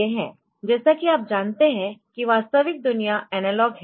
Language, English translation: Hindi, As you know that real world is analog in nature